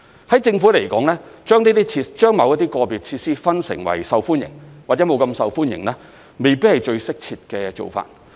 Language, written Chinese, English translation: Cantonese, 在政府而言，把某些個別設施分成為受歡迎，或者沒那麼受歡迎，未必是最適切的做法。, For the Government it may not be appropriate to classify individual facilities as popular or not that popular